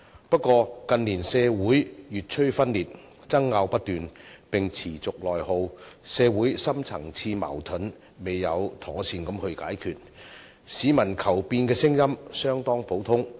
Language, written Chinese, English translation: Cantonese, 不過，近年社會越趨分裂，爭拗不斷並持續內耗，社會深層次矛盾未有妥善解決，市民求變的聲音相當普遍。, However growing social dissension persistent internal attrition as a result of incessant arguments and also the failure to properly resolve deep - rooted social conflicts have led to widespread public outcry for changes in recent years